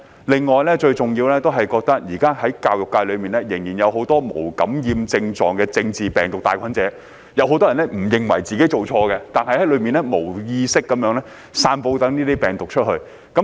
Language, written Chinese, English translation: Cantonese, 另外最重要的是，現時在教育界裏面，仍然有很多無感染症狀的政治病毒帶菌者，有很多人不認為自己做錯，還在裏面無意識地散播這些病毒。, Besides the most important point is that in the current education sector there are still a lot of asymptomatic carriers of political virus . Many people do not think that they have done something wrong and are still spreading the virus inadvertently within the sector